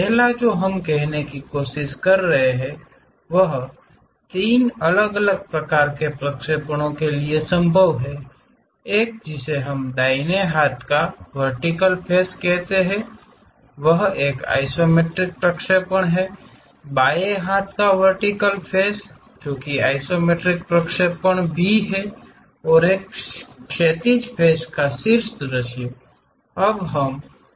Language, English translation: Hindi, The first one what we are trying to say there are three different kind of projections possible one we call right hand vertical face is an isometric projection, left hand vertical face that is also an isometric projections and the top view of that horizontal face